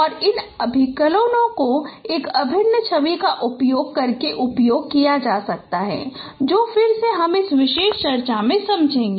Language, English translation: Hindi, And these computations can be carried out using an integral image which again I will explain in this particular discussion